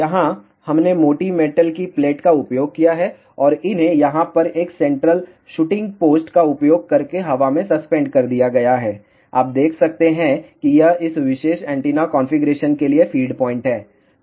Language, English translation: Hindi, Here, we have used thick metallic plate and these are suspended in the air by using a central shooting posed over here, you can see this is the feed point for this particular antenna configuration